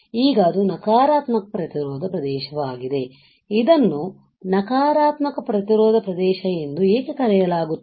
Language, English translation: Kannada, Now negative resistance region is why it is negative resistance region; why this is called negative resistance region you see negative resistance region, right